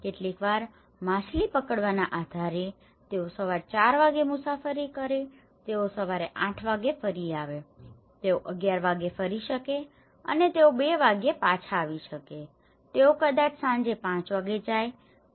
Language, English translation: Gujarati, Sometimes, depending on the fish catch, they travel at morning four o clock they come at morning eight again they might go at 11:00 and they might come back at 2:00 they might go to evening 5:00